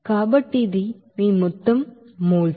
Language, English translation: Telugu, So this is your total moles